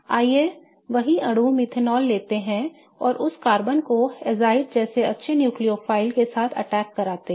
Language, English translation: Hindi, Let's take methanol, the same molecule, and let's attack this carbon with a good nucleophile like azide